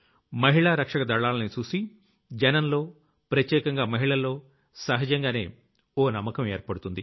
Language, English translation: Telugu, The presence of women security personnel naturally instills a sense of confidence among the people, especially women